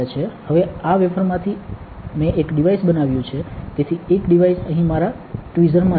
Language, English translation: Gujarati, Now, from this wafer I have taken out one device, so that one device is in my tweezer here